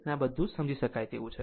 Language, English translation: Gujarati, So, this is understandable